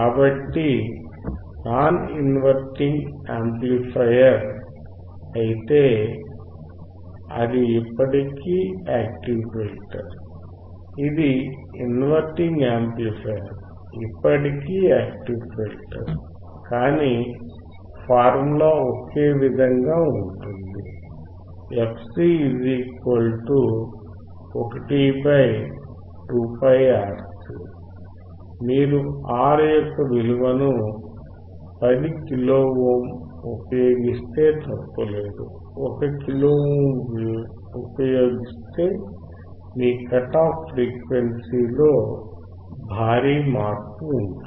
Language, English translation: Telugu, So, if it is non inverting amplifier it is still active filter it is inverting amplifier is still an active filter, but the formula of fc remains same fc = 1 / make no mistake that if you use the R of 10 kilo ohm and R of 1 kilo ohm there is a huge change in your cut off frequency